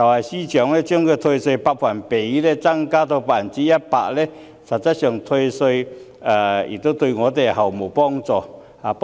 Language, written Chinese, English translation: Cantonese, 司長把退稅百分比增加至 100%， 實質上對他們毫無幫助。, The Secretarys proposal to raise the tax rebate rate from 75 % to 100 % actually renders no help to them